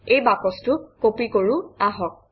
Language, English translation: Assamese, Let us copy this box